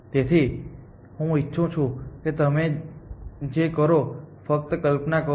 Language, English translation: Gujarati, So, what I want you to do is, to think just imagine that